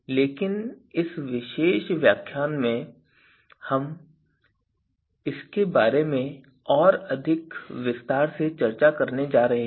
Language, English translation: Hindi, But in this particular lecture we are going to discuss this in more detail